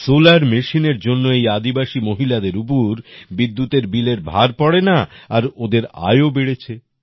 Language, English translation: Bengali, Due to the Solar Machine, these tribal women do not have to bear the burden of electricity bill, and they are earning income